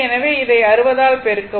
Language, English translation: Tamil, So, multiply by this 60